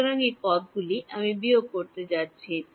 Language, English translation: Bengali, So, these terms I am going to subtract